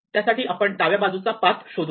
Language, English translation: Marathi, Well, we find the left most path